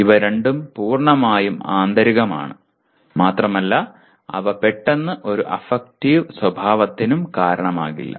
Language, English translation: Malayalam, These two are completely internal and they do not immediately kind of result in any affective behavior